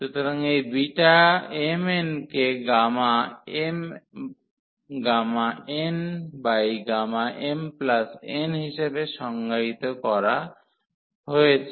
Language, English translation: Bengali, So, this beta m, n is defined as gamma m gamma n over gamma m plus n